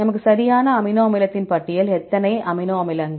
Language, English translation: Tamil, List of amino acid we require right, how many amino acids